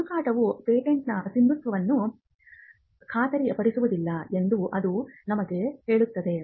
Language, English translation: Kannada, This tells us that the search does not warrant the validity of a patent